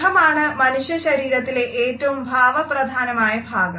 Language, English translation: Malayalam, Our face is the most expressive part of our body